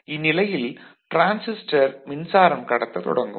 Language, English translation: Tamil, So, after that the transistor starts conducting